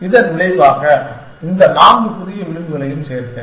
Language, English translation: Tamil, And as the result, I added this four new edges